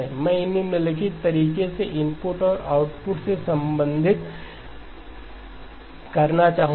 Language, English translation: Hindi, I would like to relate the input and the output in the following way